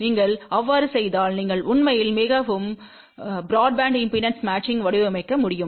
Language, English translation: Tamil, If you do that , you can actually design a very broad band impedance matching